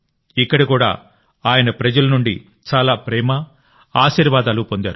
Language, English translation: Telugu, There too, he got lots of love and blessings from the people